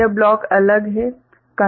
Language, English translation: Hindi, This block is different